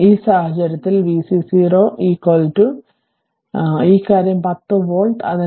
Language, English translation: Malayalam, So, in this case v c 0 plus is equal to your your this thing 10 volt